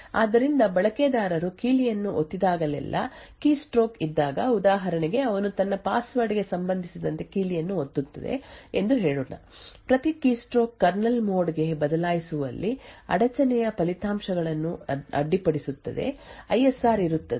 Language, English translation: Kannada, So whenever there is a keystroke that is whenever a user presses a key for example let us say he is pressing a key with respect to his password, each keystroke results in an interrupt the interrupt results in a switch to kernel mode, there is an ISR that gets executed and so on